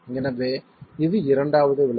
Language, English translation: Tamil, So this is an expression